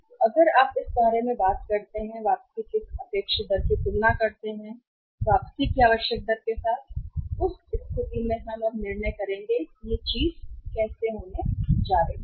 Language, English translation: Hindi, So, if you talk about this compare this expected rate of return r, with the required rate of return then in that case we will have to now make a decision that how the things are going to be there